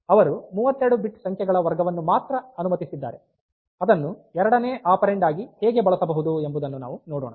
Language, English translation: Kannada, So, they have allowed only a category of 32, 32 bit numbers that can be used as the second operand, how let us see